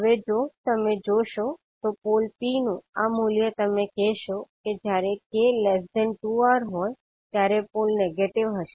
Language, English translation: Gujarati, So now if you see, this particular value of pole P you will say that the pole would be negative when k is less than 2R